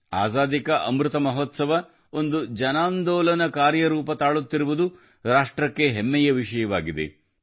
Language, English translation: Kannada, It is a matter of pride for the country that the Azadi Ka Amrit Mahotsav is taking the form of a mass movement